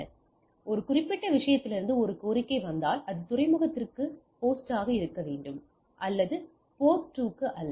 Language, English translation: Tamil, So, if a request comes from this particular thing it knows that it need to be host to port to port 1 it not to the port 2